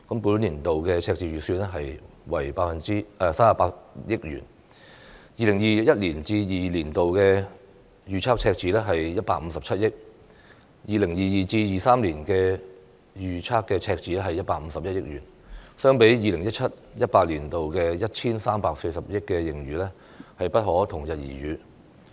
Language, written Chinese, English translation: Cantonese, 本年度赤字預算為38億元 ，2021-2022 年度預測赤字為157億元 ，2022-2023 年度預測赤字是151億元，相比 2017-2018 年度的 1,340 億元盈餘，不可同日而語。, The budget deficit for this year will be 3.8 billion the projected deficit for the year 2021 - 2022 will be 15.7 billion and the projected deficit for the year 2022 - 2023 will be 15.1 billion . These are incomparable to the surplus of 134 billion recorded in the year 2017 - 2018